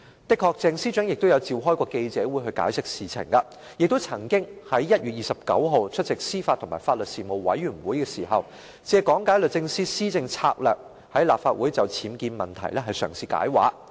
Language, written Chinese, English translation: Cantonese, 的確，鄭司長曾召開記者會解釋事件，亦曾在1月29日出席司法及法律事務委員會時，借講解律政司的施政策略，在立法會內就僭建問題嘗試"解畫"。, It is true that Ms CHENG held a press conference to explain the incident and when attending a meeting of the Panel on Administration of Justice and Legal Services on 29 January she sought to elaborate on the UBWs issue while explaining the policy initiatives of the Department of Justice